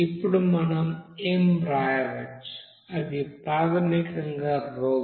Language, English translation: Telugu, Now we can write m that is basically RhoV